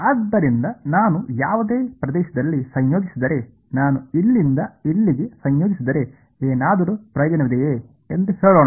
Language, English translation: Kannada, So, if I integrate at any region let us say if I integrate from here to here is there any use